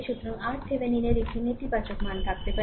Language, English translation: Bengali, So, so R Thevenin may have a negative value